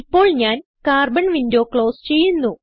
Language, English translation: Malayalam, I will close the Carbon window